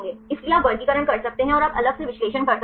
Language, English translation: Hindi, So, you can make the classifications and you can analyze separately if you are interested